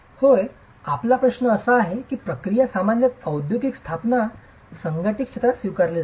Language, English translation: Marathi, Yes, your question is whether this is the process that is typically adopted within an industrial setup or in the unorganized sector